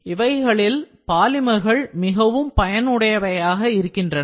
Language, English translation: Tamil, So, in that case polymers are very helpful